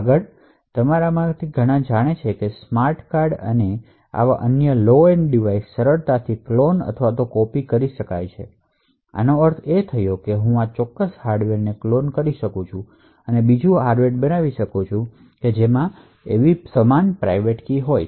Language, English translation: Gujarati, Further, as many of you would know smart cards and other such low end devices can be easily cloned or copied, So, this means that I could actually clone this particular hardware, create another hardware which has exactly the same private key